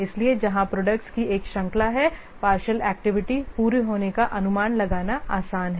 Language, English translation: Hindi, So, where there is a series of products, partial completion of activity is easier to estimate